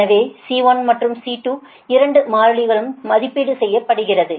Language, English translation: Tamil, so c one and c two, both the constants are evaluated right